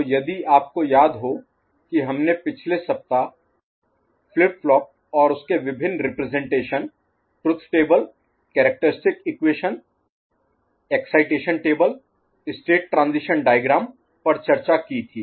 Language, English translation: Hindi, So, if you remember we discussed flip flops in the previous week, its various representations in the form of truth table, characteristic equation, excitation table, state transition diagram